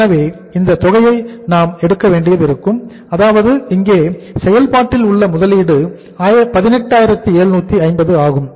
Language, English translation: Tamil, So it means we will have to take this amount that investment in the work in process here is that is 18,750